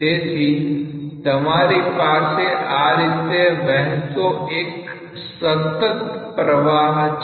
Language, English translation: Gujarati, So, you have a continuous flow going on like this